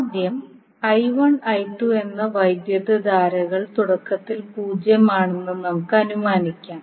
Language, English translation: Malayalam, Now let us assume that first the current I 1 and I 2 are initially zero